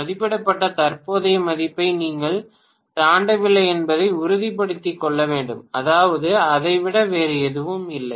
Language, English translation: Tamil, The care has to be taken to make sure that you do not exceed rated current value, that is it, nothing more than that